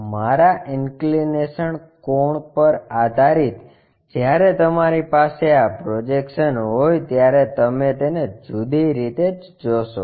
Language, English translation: Gujarati, Based on my inclination angle when you have these projections you see it in different way